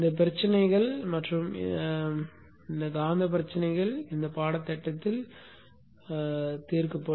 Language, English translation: Tamil, These physical issues and magnetic issues will be addressed in this course